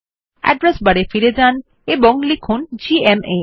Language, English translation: Bengali, Lets go back to the address bar and type gma